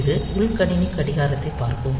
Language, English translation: Tamil, So, it will be looking into the internal system clock